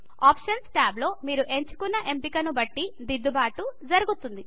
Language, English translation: Telugu, The corrections are made according to the options you have selected in the Options tab.